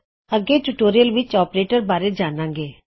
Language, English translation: Punjabi, In another tutorial were going to learn about operators